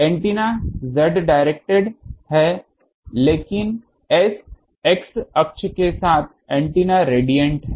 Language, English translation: Hindi, Antenna is z directed, but antennas are radiant along x axis